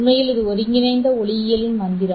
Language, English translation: Tamil, In fact, this is the magic of integrated optics